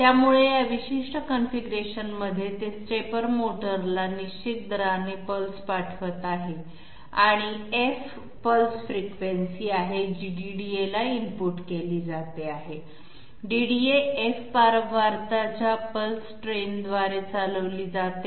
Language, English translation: Marathi, So in this particular configuration it is sending pulses to the stepper motor at a definite rate and there is a pulse frequency which is input to the DDA that is F, the DDA is run by a pulse train of frequency F